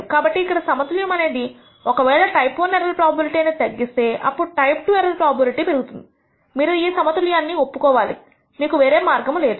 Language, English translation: Telugu, So, that there is a trade off if we decrease type I error probability then type II error probability will increase there is no choice and you have to accept this trade off